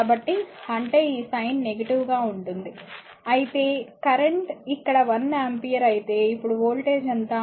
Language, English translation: Telugu, So; that means, this sign will be negative, but is current here is one ampere current here is your what you call 1 ampere now what is the voltage